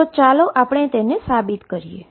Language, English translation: Gujarati, So, let us prove that